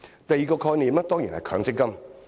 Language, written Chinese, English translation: Cantonese, 第二個概念，當然是強積金。, The second concept is of course MPF